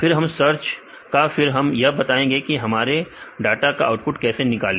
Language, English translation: Hindi, Then we give the search option, then we gave to give the display how the output your data